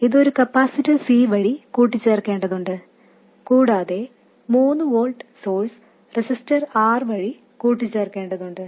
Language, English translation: Malayalam, So, this has to be coupled through a capacitor C and the 3 volt source has to be coupled through a resistor R